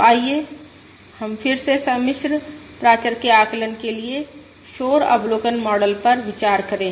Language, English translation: Hindi, So let us again consider the noisy observation model for the estimation of complex parameter